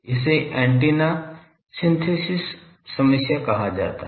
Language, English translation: Hindi, That is called antenna synthesis problem